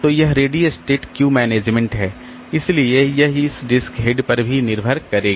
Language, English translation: Hindi, So, that ready queue management so that will also be dependent on this disk